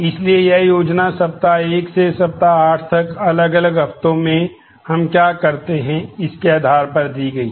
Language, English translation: Hindi, So, this plan is given based on what we do in different weeks from week 1 to week 8